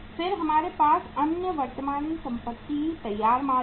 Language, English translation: Hindi, Then we have the other current asset is finished goods